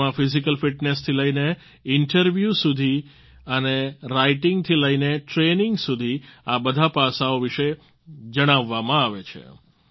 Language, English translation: Gujarati, The training touches upon all the aspects from physical fitness to interviews and writing to training